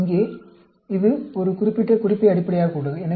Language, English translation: Tamil, This is based on a particular reference here